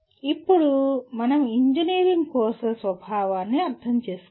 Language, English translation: Telugu, And now we need to understand the nature of engineering courses